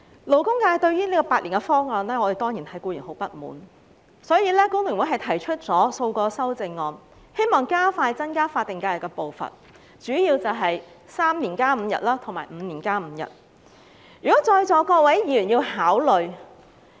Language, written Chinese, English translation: Cantonese, 勞工界對於政府提出的8年方案，當然感到很不滿，所以工聯會提出了數項修正案，希望加快增加法定假期的步伐，其中主要包括3年加5日及5年加5日，讓在座各位議員考慮。, As the labour sector is certainly dissatisfied with the Governments eight - year proposal FTU has therefore proposed several amendments in the hope of advancing the pace of increasing the number of SHs . The amendments for Members consideration include among others increasing the five additional SHs in three years and increasing the five additional SHs in five years